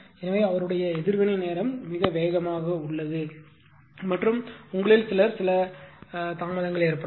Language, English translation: Tamil, So, that is his his reaction time is very fast and some of you will react in sometimes some delay will be there